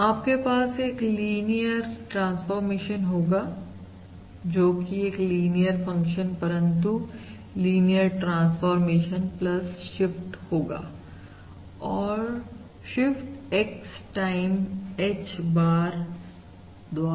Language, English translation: Hindi, If you have a linear transformation, it is a linear function, but this is a linear transformation plus the shift by this quantity, X times H bar